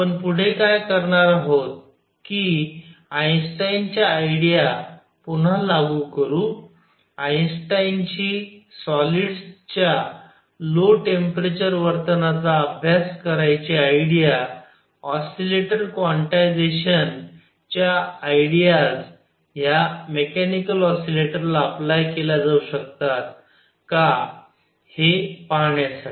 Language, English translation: Marathi, What we will do next is again apply Einstein ideas; Einstein’s idea to study the low temperature behavior of solids to see that the ideas of quantization of an oscillator can also be applied to mechanical oscillators